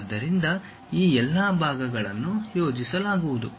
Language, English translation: Kannada, So, all these parts will be projected